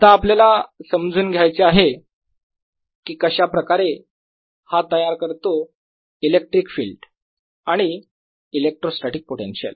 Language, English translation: Marathi, now we want to understand how does this give rise to electric field and electrostatic potential